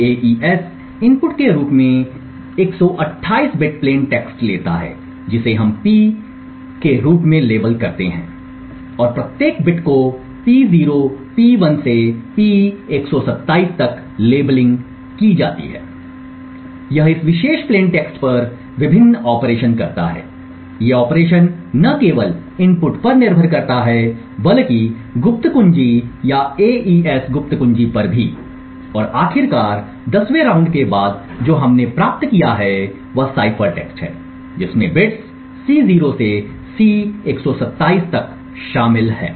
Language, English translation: Hindi, The AES takes 128 bit plain text as input which we label her as P and each bit is labelled P0 P1 to P127 it does various operations on this particular plain text, these operations not only depend on the input but also on the secret key or the AES secret key and eventually after 10 rounds what we obtained is the cipher text C which comprises of bits C0 to C127